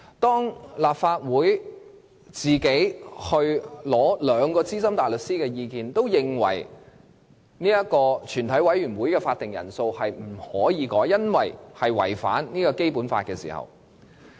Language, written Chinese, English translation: Cantonese, 本會向兩位資深大律師徵詢的意見均顯示，全體委員會的法定人數不能修改，因為有機會違反《基本法》。, All the advice sought by this Council from two senior counsel shows that the quorum for meetings of the Council and committee of the whole Council cannot be amended because of the possibility of breach of the Basic Law